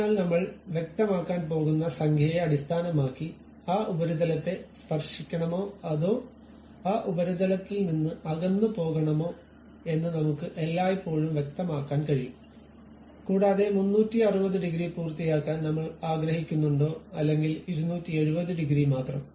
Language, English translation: Malayalam, So, based on the number what I am going to specify uh I can always specify whether it should really touch that surface or should away from that surface also whether I would like to have complete 360 degrees or only 270 degrees